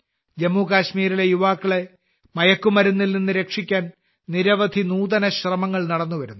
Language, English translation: Malayalam, To save the youth of Jammu and Kashmir from drugs, many innovative efforts have been visible